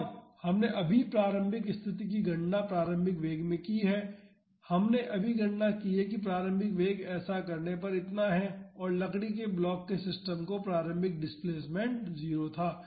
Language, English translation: Hindi, And we just calculated the initial condition in the initial velocity we just calculated initial velocity is this much to do this and the initial displacement of the system of the wooden block was 0